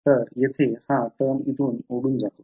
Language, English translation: Marathi, So, this term over here blows up